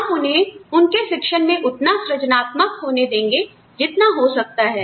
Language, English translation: Hindi, We let them be, as creative with their teaching, as possible